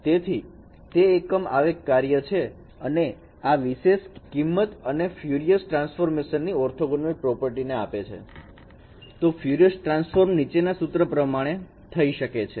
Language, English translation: Gujarati, So it's an unit impulse function and this particular property gives you the orthogonal property of the Fourier transfer